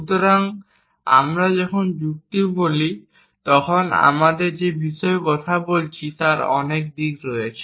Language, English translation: Bengali, So, when we say logic there are many aspects to what we are talking about